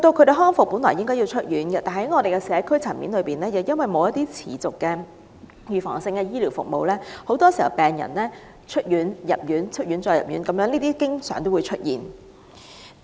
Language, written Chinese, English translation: Cantonese, 病人康復後理應出院，但由於在社區層面上缺乏持續及預防性的醫療服務，病人很多時均要不斷進出醫院，這種情況經常出現。, Patients should be discharged from hospitals after they have recovered from their illnesses but given the lack of continuing and preventive healthcare services at community level it is not uncommon that patients have to keep going in and out of hospitals